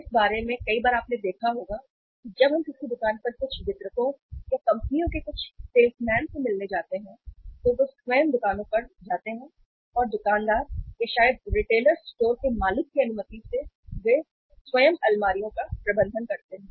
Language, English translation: Hindi, Means here with further think about that many a times you might have seen here that when we visit a shop some distributors or some salesman from the companies they visit the shops themselves and with the permission of the shopkeeper or maybe the owner of the retailer store, they themselves manage the shelves